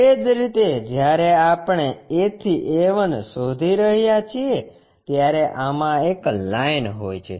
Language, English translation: Gujarati, Similarly, when we are looking A to A 1 there is a line this one